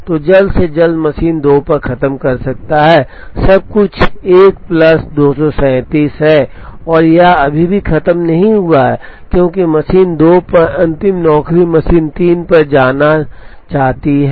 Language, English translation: Hindi, So, earliest machine 2 can finish everything is 1 plus 237 and it is still not over, because the last job on machine 2 has to visit machine 3